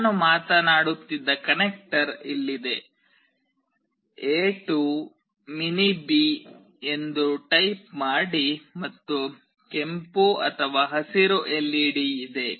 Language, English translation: Kannada, Here is the connector I was talking about, type A to mini B, and there is a red/green LED